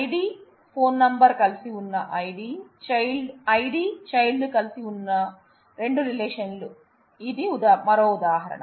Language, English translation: Telugu, This is another example of two relations, where the ID and child are together, when ID and phone number are together